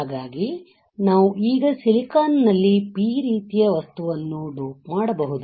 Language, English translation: Kannada, So, we can now dope a P type material in this silicon